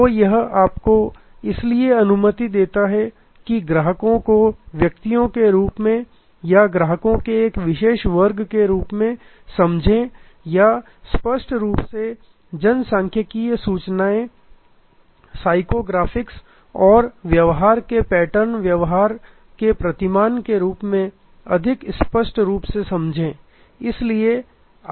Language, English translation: Hindi, So, it allows you to therefore, understand the customers as individuals or understand the customer as a particular class or define the segment much more clearly in terms of demographics, psycho graphics and behavior almost important by the behavioral patterns